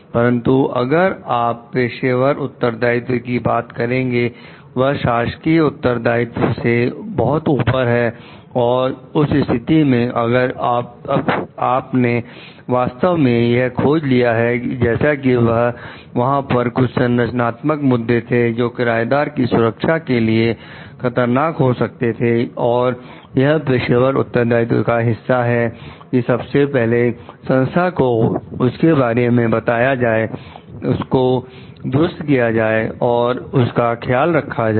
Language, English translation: Hindi, But if you are talking of the professional responsibility, it is much above the official responsibility and in that case if the structural engineer have truly discovered like there are certain structural issues which may endanger the safety of the tenant s; it is a part of the professional responsibility, to first tell the organization about it, to repair it and to take care of it